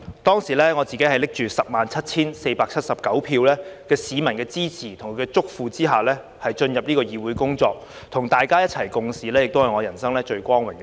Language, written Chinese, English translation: Cantonese, 當時，我自己拿着 107,479 票的市民支持，在他們的囑咐下進入這議會工作，與大家一起共事也是我人生最光榮的事。, At that time I joined this Council at the behest of members of the public who had supported me with 107 479 votes . It has been the greatest honour in my life to work together with Members